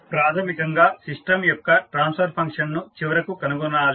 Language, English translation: Telugu, Basically, we need to find out the transfer function of the system finally